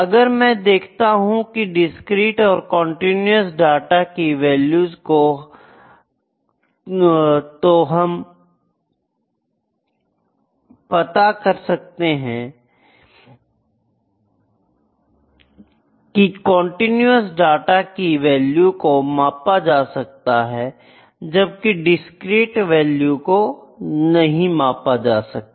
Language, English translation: Hindi, So, if I see the nature of the values for the discrete and continuous data, the continuous data values can be measured, but the discrete values cannot be measured